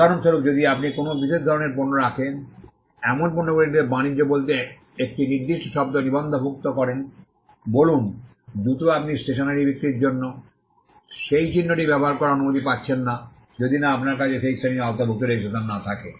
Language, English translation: Bengali, For example, if you have registered a particular word for say trade in goods covering a particular kind of goods; say, shoes you may not be allowed to use that mark for selling stationery, unless you have a registration covering that class as well